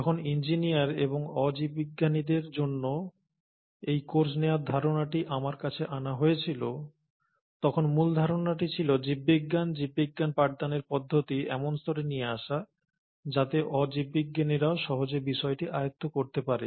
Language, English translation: Bengali, Now when this idea of taking this course for engineers and non biologists was brought up to me, the idea was to essentially bring in biology, teaching biology at a level which will be easily taken up by the non biologists